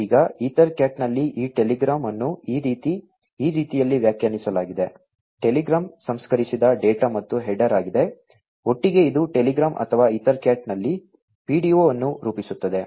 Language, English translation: Kannada, Now, in EtherCAT this telegram is defined in this manner, telegram is the processed data plus the header, together it forms the telegram or the PDO in EtherCAT